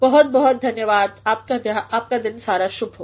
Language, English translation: Hindi, Thank you very much, have a nice day